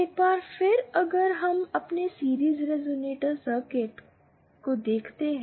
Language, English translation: Hindi, Once again if we do our series resonator circuit